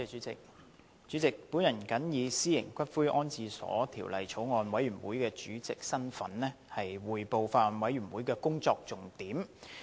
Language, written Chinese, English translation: Cantonese, 主席，我謹以《私營骨灰安置所條例草案》委員會主席的身份，匯報法案委員會工作的重點。, President in my capacity as Chairman of the Bills Committee on the Private Columbaria Bill I now report on the major deliberations of the Bills Committee